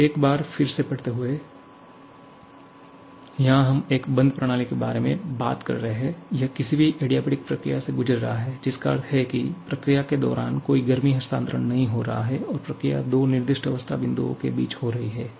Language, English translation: Hindi, So, we are talking about a closed system, it is undergoing any adiabatic process that means, there is no heat transfer taking place during the process and the process has been taking place between two specified state points